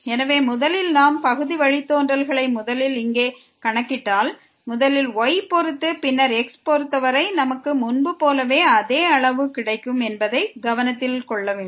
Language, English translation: Tamil, So, first of all we should note that if we compute the partial derivative here first with respect to , and then with respect to we will get the same quantity as before